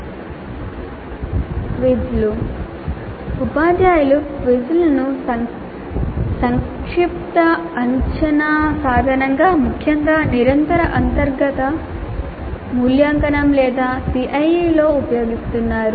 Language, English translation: Telugu, Now quizzes teachers are increasingly using quizzes as summative assessment instruments, particularly in continuous internal evaluation or CIE